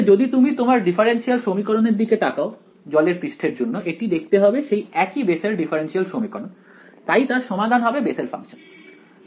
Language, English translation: Bengali, Actually if you look at the differential equation for the water surface it turns out to be the same Bessel differential equation so the solution is Bessel function